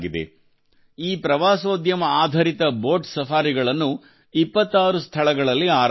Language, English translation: Kannada, This Tourismbased Boat Safaris has been launched at 26 Locations